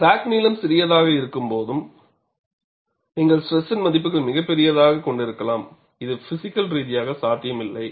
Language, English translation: Tamil, When crack length is small, you can have very large values of stress, which is not possible, physically